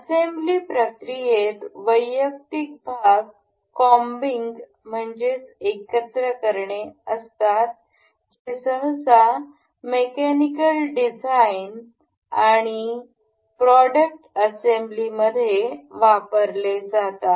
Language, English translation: Marathi, The assembly process consist of combing the individual parts that are usually used in mechanical designs and product assembly